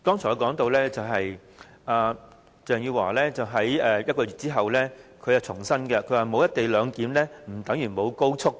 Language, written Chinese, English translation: Cantonese, 我剛才說到，鄭汝樺在1個月後重申，沒有"一地兩檢"不等於沒有高速。, I have just said Eva CHENG reiterated one month later that the failure to implement the co - location arrangement did not necessarily compromise the speed of the rail link